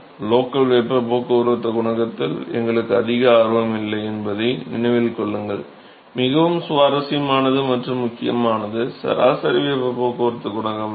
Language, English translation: Tamil, Remember that we are really not very interested in the local heat transport coefficient what is more interesting and important is the average heat transport coefficient ok